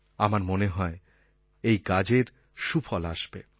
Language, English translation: Bengali, I feel it will yield good results